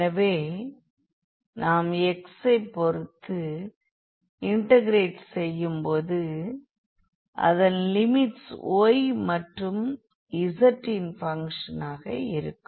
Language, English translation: Tamil, So, we are integrating now with respect to y and the limits of the y can be the function of z can be the function of z